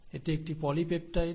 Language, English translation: Bengali, This is a polypeptide